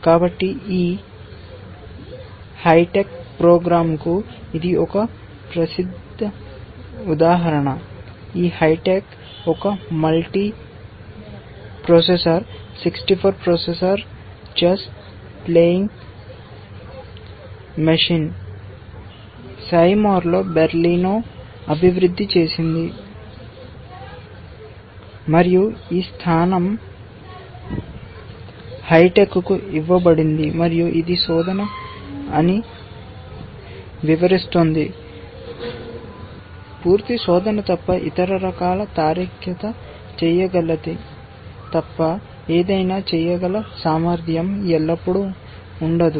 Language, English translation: Telugu, So, this is a well known example which was fed to this hi tech program, this hitech was a multi processor, 64 processor chess playing machine developed by Berlino in Seymour, and this position was given to hi tech and it illustrates that search is not always capable of doing something, unless it is full search of course, which are other forms of reasoning can do